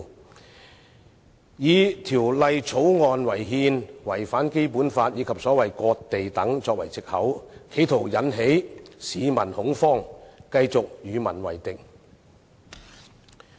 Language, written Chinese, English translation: Cantonese, 他們以《條例草案》違憲、違反《基本法》及所謂"割地"等為藉口，企圖引起市民恐慌，繼續與民為敵。, Using such excuses as the Bill being unconstitutional and in contravention with the Basic Law and the so - called cession of territory they have attempted to cause panic among the public continuing to stand against the people